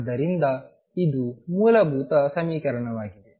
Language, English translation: Kannada, And therefore, it is a fundamental equation